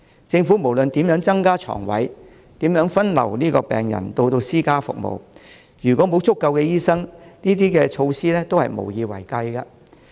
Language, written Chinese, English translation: Cantonese, 政府無論怎樣增加床位、怎樣分流病人到私家服務，如果沒有足夠的醫生，這些措施都是無以為繼。, No matter how many hospital beds are added or how many patients are diverted to private services by the Government if there are insufficient doctors these measures will not be sustainable